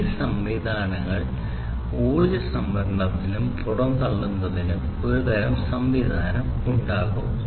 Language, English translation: Malayalam, And these systems will have some kind of mechanism for energy storage and dissipation both, right